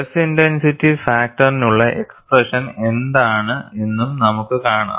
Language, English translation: Malayalam, And we would also see, what is the expression for stress intensity factor